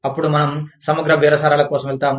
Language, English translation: Telugu, Then, we go in for integrative bargaining